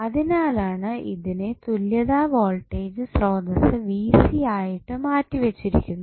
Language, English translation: Malayalam, So, that is why it is replaced with the equivalent voltage source Vc